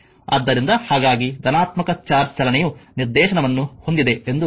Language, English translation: Kannada, So, that is why is taken has direction of the positive charge movement